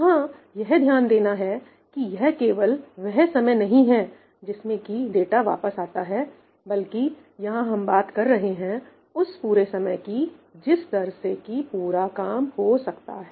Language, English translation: Hindi, note that this is not talking about the time it takes for the data to come back, this is talking about the total, overall rate at which things can be done